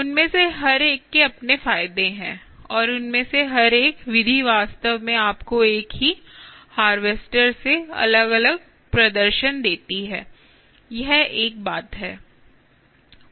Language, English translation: Hindi, each one of them have their own advantages and each one of them, each of these methods, actually give you ah, different performances from the same harvester